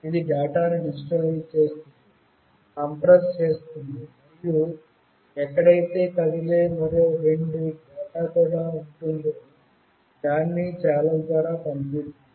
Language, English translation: Telugu, It means that it digitizes the data, compresses it, and sends through a channel where two other data are also moving